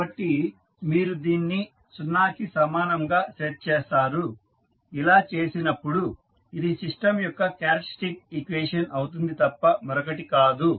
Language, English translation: Telugu, So, you will set this equal to 0, so this will be nothing but the characteristic equation of the system